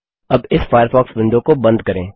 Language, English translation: Hindi, Now close this Firefox window